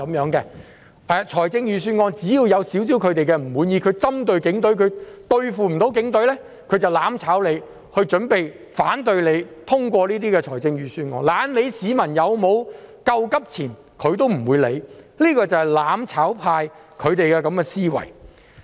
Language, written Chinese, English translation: Cantonese, 只要對預算案稍有不滿，因為針對警隊但不能對付警隊，他們便會"攬炒"，反對通過預算案，懶理市民有否救急錢，這便是"攬炒派"的思維。, This is the common mindset of the mutual destruction camp . As long as they are slightly dissatisfied with the Budget and because they can pick on but cannot attack the Police they will opt for mutual destruction and oppose the passage of the Budget disregarding whether people can get any money to meet their urgent needs . This is the mindset of the mutual destruction camp